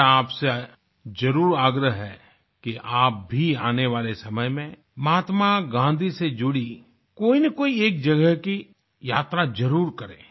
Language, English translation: Hindi, I sincerely urge you to visit at least one place associated with Mahatma Gandhi in the days to come